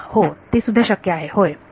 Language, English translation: Marathi, The yes, that is also possible yes